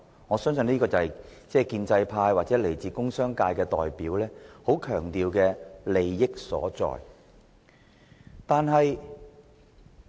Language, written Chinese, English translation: Cantonese, 我相信，這便是建制派或工商界代表非常強調的所謂優勢。, I believe this is the advantage that the pro - establishment camp or representatives of the industrial and business sector stress very much